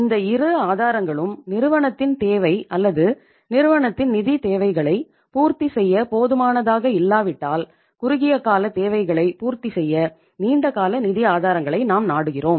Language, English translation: Tamil, So if both these sources are not sufficient to fulfill the organizationís need or the firmís financial needs then we resort to the long term sources of the funds to fulfill the short term requirements